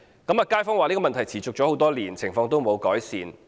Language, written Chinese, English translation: Cantonese, 街坊說問題已持續多年，情況沒有改善。, According to local residents this problem has persisted for years and no improvement has been made